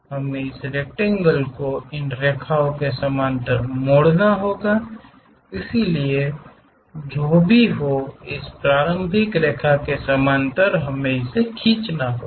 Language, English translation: Hindi, We have to turn this rectangle parallel to these lines so whatever, this initial line we have parallel to that we have to draw it